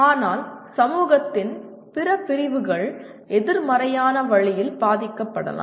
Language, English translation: Tamil, But other segment of the society may get affected by that in a negative way